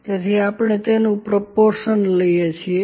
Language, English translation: Gujarati, So, we take the proportion of that